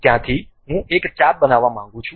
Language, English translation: Gujarati, From there, I would like to really construct an arc